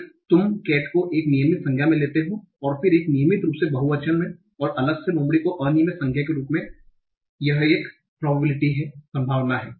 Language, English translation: Hindi, One is you have, you take Cat as a regular noun and then have a regular problem and then have a regular problem and Fox as irregular now separately